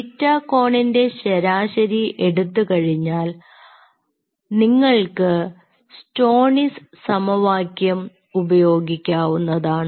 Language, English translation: Malayalam, once you average out the theta angle, you can use an equation which is called stoneys equation